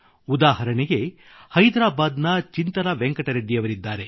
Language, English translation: Kannada, Chintala Venkat Reddy ji from Hyderabad is an example